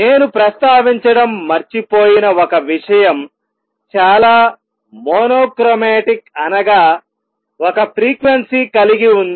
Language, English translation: Telugu, And also one thing I have forgot to mention is highly mono chromatic that means, one frequency